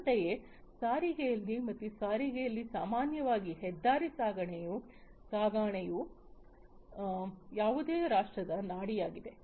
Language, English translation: Kannada, Similarly, in transportation as well transportation typically highway transportation is sort of the vein of any nation